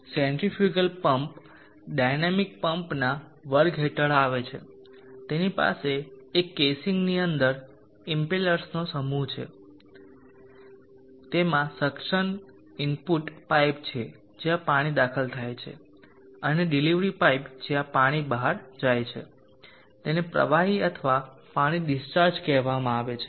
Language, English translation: Gujarati, The centrifugal pump comes under the class of dynamic pumps, it has a set of impellers within a case, it has a suction input piper where the water is admitted in, and a delivery pipe where the water goes out it is called the discharge of the fluid of the water